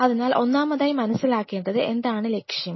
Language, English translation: Malayalam, So, first and foremost thing what has to be understood is what is the objective